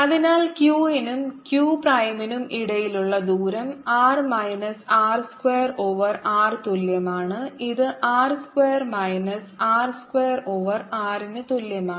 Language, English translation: Malayalam, therefore, the distance between q and is equal to r minus r square over r, which is equal to r square minus r square over r